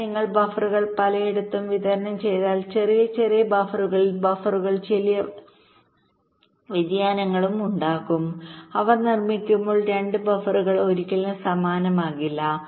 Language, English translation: Malayalam, but if you distribute the buffers in many place, many small, small buffers, there will also be small variability in the buffers